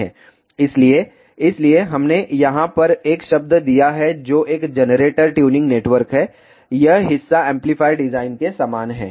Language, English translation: Hindi, So, hence we have given the term over here which is a generator tuning network this part is similar to that of amplifier design